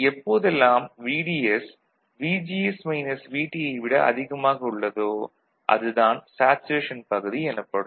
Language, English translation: Tamil, So, whenever VDS is greater than VGS minus VT, all right that will be the saturation region then